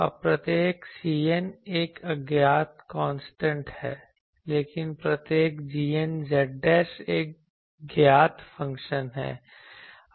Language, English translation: Hindi, Now each c n is an unknown constant, but each g n z dashed is a known function